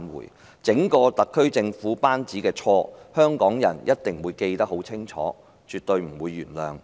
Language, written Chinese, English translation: Cantonese, 對於整個特區政府班子的錯，香港人一定會記得很清楚，是絕對不會原諒的。, Hongkongers will definitely remember well the wrongs done by the whole SAR Government and they will absolutely not forgive them